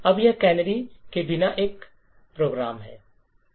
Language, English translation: Hindi, Now this is a function without canaries